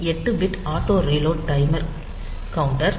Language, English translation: Tamil, So, 8 bit auto reload timer counter